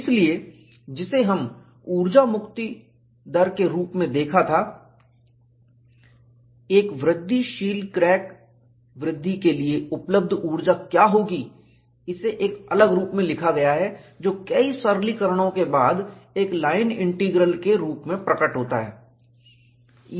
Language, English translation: Hindi, So, what we had seen as energy release rate, what is the energy available for an incremental crack growth, is written in a different form, which appears as a line integral, after several simplifications